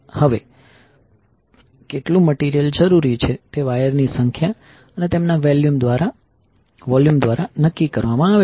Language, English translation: Gujarati, Now the ratio of material required is determined by the number of wires and their volumes